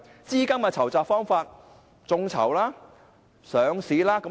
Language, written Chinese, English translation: Cantonese, 資金的籌集方法包括眾籌和上市。, Fund raising can be done in two ways crowdfunding and listing